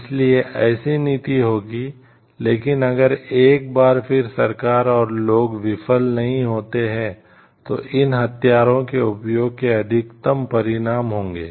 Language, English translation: Hindi, So, there will be one type of policy, but if again the government and the general public fails no, there are greater consequences of bigger consequences of using these weapons